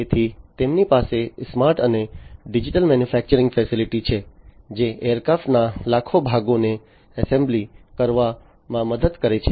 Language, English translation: Gujarati, So, they have the smart and digital manufacturing facility, which helps in the assembly of millions of aircraft parts